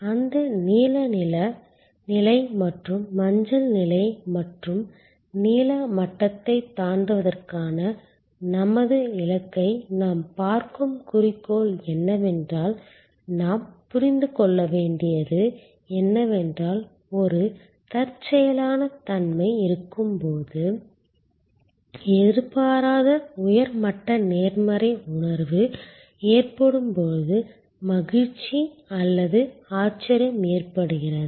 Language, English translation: Tamil, The objective which we will looked at that blue level and the yellow level and our target of exceeding the blue level, what we have to understand is that the delight or wow happens when there is an serendipity, there is unexpected high level of positive feeling which therefore, goes much beyond need arousal and need satisfaction expectation